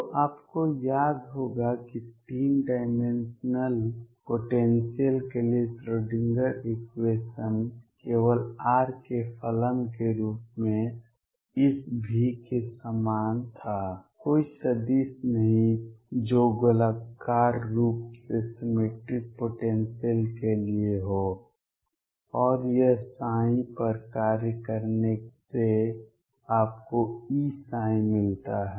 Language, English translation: Hindi, So, you recall that the Schrödinger equation for 3 dimensional potentials was like this V as a function of only r, no vector which is for the spherically symmetric potential and this operating on psi give you E psi